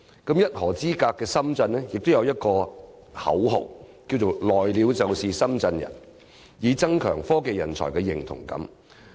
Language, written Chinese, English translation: Cantonese, 而一河之隔的深圳，亦有一個口號："來了就是深圳人"，以增強科技人才的認同感。, Shenzhen which is right next to Hong Kong with just a river in between also seeks to enhance technology talents identification with the city using the slogan Anyone who settles down here is a Shenzhener